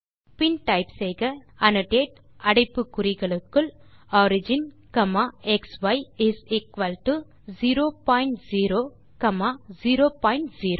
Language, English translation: Tamil, Then type annotate within brackets origin comma xy is equal to 0 point 0 comma 0 point 0